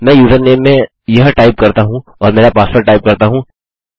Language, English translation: Hindi, Let me type this in username and type in my password